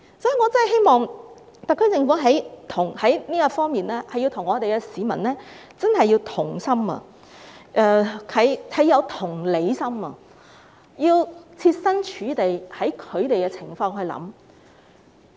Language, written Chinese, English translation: Cantonese, 所以，我真的希望特區政府在這方面能與市民同心，更要有同理心，設身處地，從市民的角度來考慮。, Hence I really hope that the SAR Government can appreciate peoples feelings in this regard . It should be empathetic put itself in peoples shoes and think from the perspective of the public